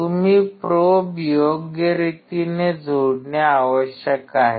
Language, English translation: Marathi, You have to connect the probe in a proper manner